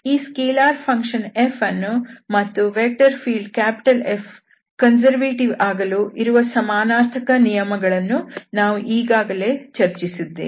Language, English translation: Kannada, This f is a scalar function and the equivalent conditions which we have already discussed, that the vector field F is conservative